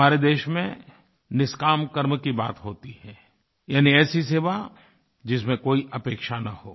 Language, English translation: Hindi, In our country we refer to 'NishKaam Karma', selfless deeds, meaning a service done without any expectations